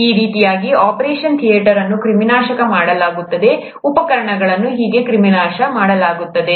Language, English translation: Kannada, That is how an operation theatre is sterilized, how the instruments are sterilized